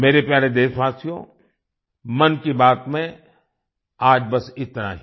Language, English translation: Hindi, My dear countrymen, that's all for today in 'Mann Ki Baat'